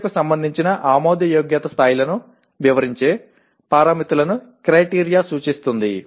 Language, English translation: Telugu, Criterion represents the parameters that characterize the acceptability levels of performing the action